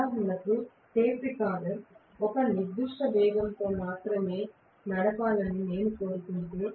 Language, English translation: Telugu, For example, tape recorder if I want that to run at a particular speed only obviously